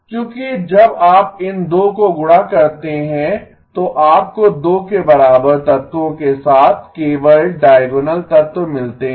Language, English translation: Hindi, Because when you multiply these 2, you get only diagonal elements with elements equal to 2